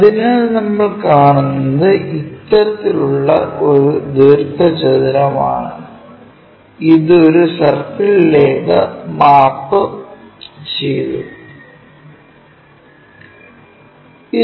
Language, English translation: Malayalam, So, what we will see is such kind of rectangle and this one mapped to a circle